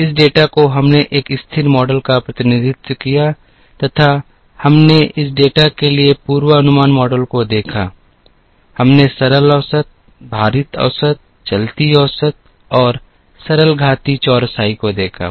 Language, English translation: Hindi, This data we assumed represented a constant model and we looked at forecasting models for this data, we looked at simple average, weighted average, moving averages and simple exponential smoothing